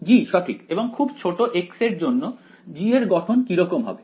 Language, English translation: Bengali, g right and g is of the form for very small x it is of what form